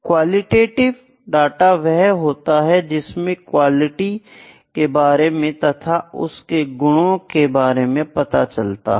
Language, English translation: Hindi, Qualitative is the qualitative data is the one which just tells about the quality, it is about the attributes, ok